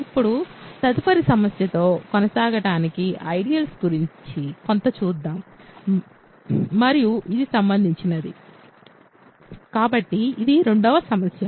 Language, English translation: Telugu, So now, to continue with the next problem, let us look at something about ideals and this is something that is related to, so, this is the second problem